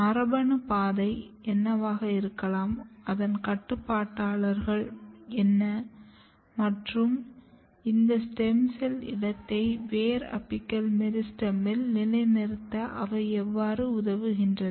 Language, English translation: Tamil, What could be the genetic pathway, what are the regulators, and what are the regulators, and how they helps in positioning these stem cell niche in the root apical meristem